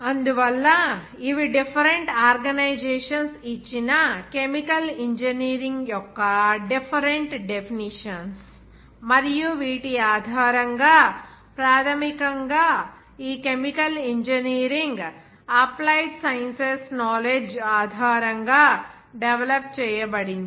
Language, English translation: Telugu, And so these are the different definitions of the chemical engineering given by the different organizations and based on which can say that basically this chemical engineering which is developed based on the knowledge of applied sciences